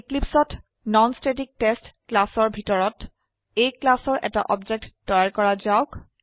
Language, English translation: Assamese, Inside class NonStaticTest in Eclipse let us create an object of the class A